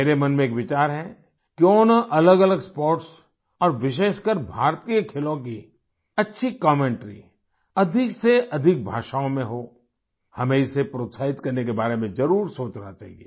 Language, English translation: Hindi, I have a thought Why not have good commentaries of different sports and especially Indian sports in more and more languages, we must think about encouraging it